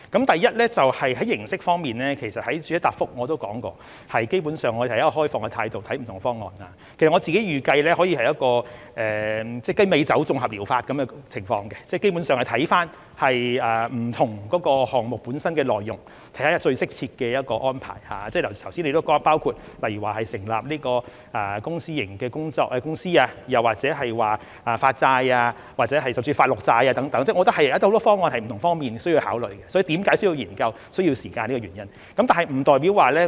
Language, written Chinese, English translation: Cantonese, 第一，在形式方面，其實我在主體答覆也提到，基本上，我們是以開放態度來看不同方案，我自己預計可以是一個雞尾酒綜合療法的情況，基本上是會看不同項目本身的內容，看看最適切的安排，正如剛才提到例如成立公私營公司，又或發債甚至發綠債等，我認為很多方案是在不同方面需要考慮的，所以為何需要研究和需要時間，便是這個原因。, First regarding the approach actually as I mentioned in the main reply basically we are open to different proposals and I personally reckon that it can be similar to a cocktail or combination therapy . Basically we will look at the contents of different projects in finding out the most suitable arrangement; it can be setting up a company under the Public - Private Partnership approach as mentioned earlier or issuing bonds or even green bonds . I think many proposals will require consideration in different respects and this is the reason why we need to conduct studies and spend time on them